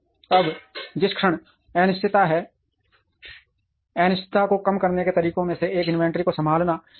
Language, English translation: Hindi, Now, the moment there is an uncertainty, one of the ways to reduce the uncertainty is to handle inventory